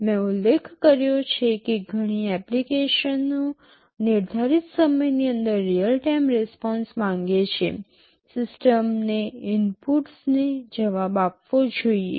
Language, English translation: Gujarati, I mentioned many applications demand real time response; within a specified time, the system should respond to the inputs